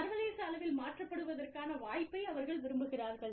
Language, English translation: Tamil, They would like the opportunity, to be transferred, internationally